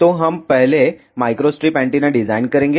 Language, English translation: Hindi, So, we will design micro strip antenna first